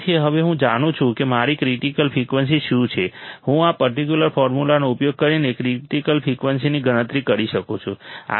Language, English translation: Gujarati, So, now, I know; what is my critical frequency I can calculate critical frequency using this particular formula